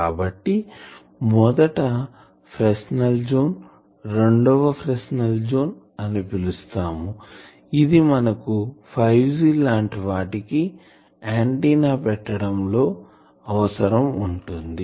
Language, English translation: Telugu, So, there are first Fresnel zone, second Fresnel zone etc that needs to be carried out if you want to have an antenna for that 5G etc